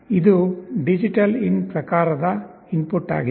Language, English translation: Kannada, This is a DigitalIn type of input